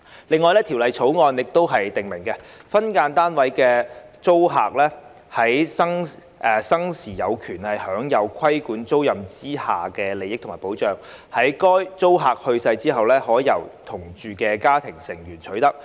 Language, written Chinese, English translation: Cantonese, 另外，《條例草案》訂明，分間單位租客在生時有權享有的規管租賃之下的利益及保障，在該租客去世後，可由同住的家庭成員取得。, In addition the Bill provides that a family member of a deceased tenant of a regulated tenancy for an SDU who is residing with the tenant in the SDU is entitled to after the tenants death the subsisting benefits and protection under the regulated tenancy to which the tenant is entitled